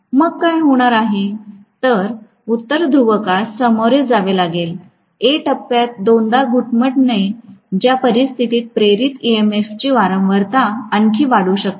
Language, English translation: Marathi, Then what is going to happen is the North Pole is going to be faced by A phase winding itself twice in which case the frequency of the induced EMF can increase further